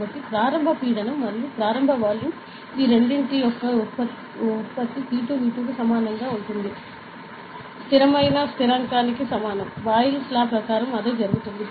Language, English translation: Telugu, So, initial pressure and the initial volume the product of those two will be equal to P 2 V 2 will be is equal to a constant a, correct; that is what according to Boyle’s Law happens